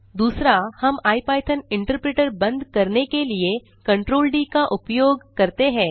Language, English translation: Hindi, Now, lets see how we can quit the ipython interpreter, press Ctrl D